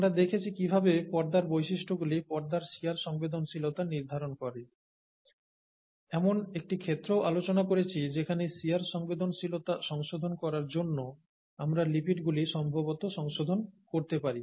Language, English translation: Bengali, Then we saw how the membrane characteristics determine membrane shear sensitivity, and we also looked at a case where we could possibly modify the lipids to modify the shear sensitivity